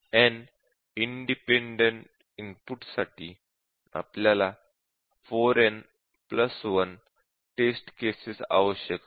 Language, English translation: Marathi, So, for n independent inputs, we need four n plus 1 test cases